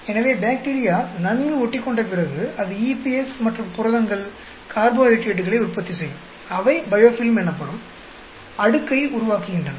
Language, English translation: Tamil, So, when the bacteria settles, and it produces EPS and proteins, carbohydrates, they form layer which is called biofilm